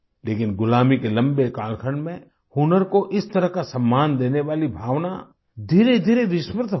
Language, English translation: Hindi, But during the long period of slavery and subjugation, the feeling that gave such respect to skill gradually faded into oblivion